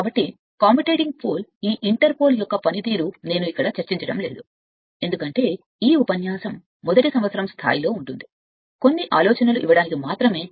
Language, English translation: Telugu, So, function of this your inter pole called commutating pole etcetera I am not discussing here, because this first year level just some ideas right